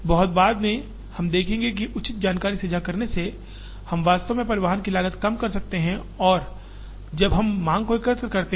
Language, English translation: Hindi, Much later we will see that, by proper information sharing, we can actually bring down even the cost of transportation by aggregating or when we aggregate the demand